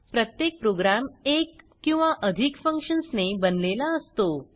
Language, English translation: Marathi, Every program consists of one or more functions